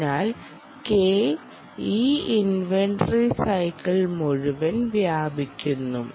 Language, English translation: Malayalam, ok, therefore, k spans the whole of this inventory cycle, this capital k